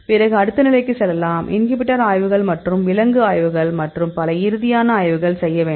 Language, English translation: Tamil, In this case, you can go with the next level; the inhibitor studies and the animal studies and then finally, studies and so on